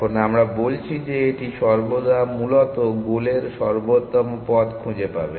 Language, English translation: Bengali, Now we are saying that it will always find the optimal paths to the goal essentially